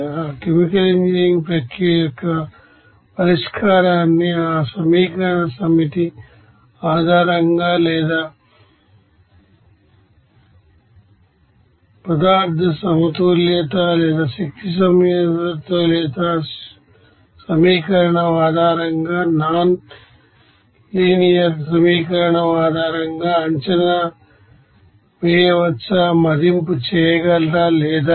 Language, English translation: Telugu, Whether the you know solution of that chemical engineering process can be you know assessed based on that you know set of linear equation or nonlinear equation based on the material balance or energy balance equation or not